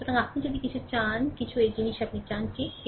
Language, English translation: Bengali, So, if any anything anything you this thing you want, right